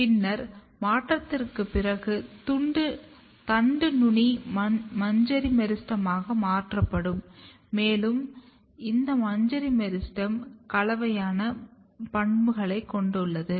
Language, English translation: Tamil, Then after transition the shoot apex get converted into inflorescence meristem and this inflorescence meristem has a mixture of property